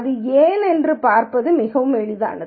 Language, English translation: Tamil, It is very easy to see why this might be